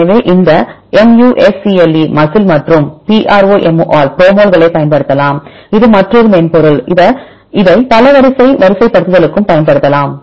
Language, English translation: Tamil, So, you can use this MUSCLE and the PROMOLs; this is another software; this also you can use for the multiple sequence alignment